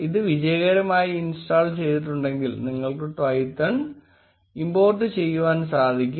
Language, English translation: Malayalam, If it has been successfully installed, then you will be able import Twython